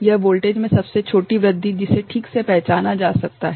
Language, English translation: Hindi, It is the smallest increment in the voltage that can be recognised ok